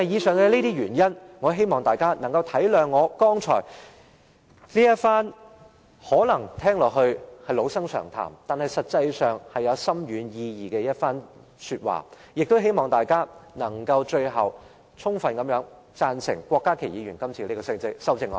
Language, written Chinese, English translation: Cantonese, 正因這些原因，我希望大家能夠明瞭我剛才這番可能聽起來是老生常談，但實際上是具深遠意義的說話，亦希望大家最後能支持郭家麒議員的修正案。, For this reason I hope Members can appreciate these remarks I made just now which may sound like cliched but which actually carries profound significance . I hope Members can support Dr KWOK Ka - kis amendment eventually